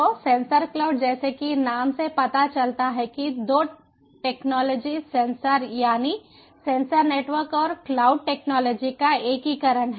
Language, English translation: Hindi, so sensor cloud sensor cloud, as the name suggests, is about integration of two technologies: sensor rather sensor networks and cloud technology